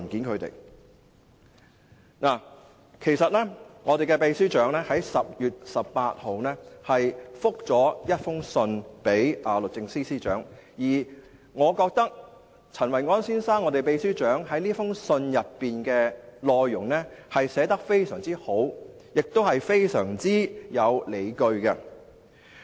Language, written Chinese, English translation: Cantonese, 其實，秘書長已在10月18日以書面回覆律政司司長，而我覺得秘書長陳維安先生這封信的內容寫得非常好，亦非常有理據。, Actually the Secretary General replied the Secretary for Justice in writing on 18 October and in my opinion Secretary General Kenneth CHEN has written an excellent and well - justified letter